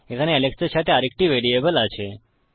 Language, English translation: Bengali, We have another variable here with Alex